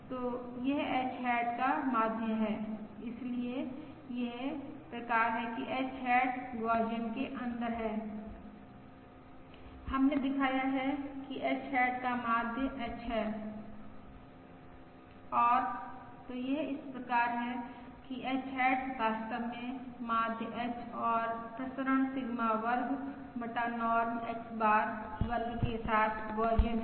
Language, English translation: Hindi, we have shown that the mean of H hat is H and so therefore it follows that H hat is indeed Gaussian, with mean and H and variance Sigma square divided by Norm X bar square